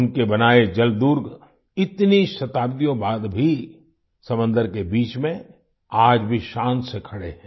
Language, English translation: Hindi, The Seaforts built by him still stand proudly in the middle of the sea even after so many centuries